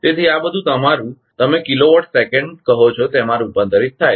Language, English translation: Gujarati, So, this everything is converted to your what you call kilowatt seconds